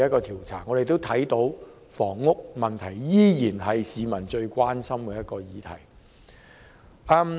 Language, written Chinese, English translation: Cantonese, 調查結果顯示，房屋問題依然是市民最關心的議題。, Results of the survey indicate that the housing problem has remained the issue that people are most concerned with